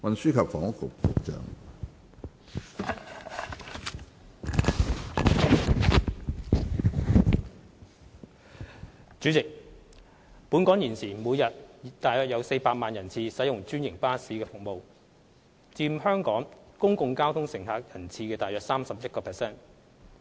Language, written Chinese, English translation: Cantonese, 主席，本港現時每日約有400萬人次使用專營巴士服務，佔全港公共交通乘客人次約 31%。, President currently around four million passenger trips are carried by franchised buses daily in Hong Kong accounting for about 31 % of the overall public transport patronage